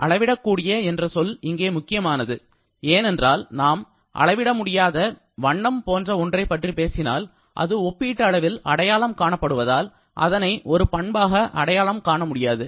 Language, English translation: Tamil, The term quantifiable is important here because if we talk about something like colour that cannot be quantified that is more a relative kind of identification and therefore that cannot be identified as a property